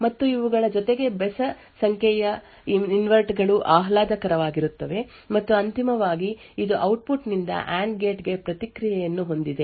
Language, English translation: Kannada, And besides these there are odd number of inverters that are pleasant and finally it has a feedback from the output to the AND gate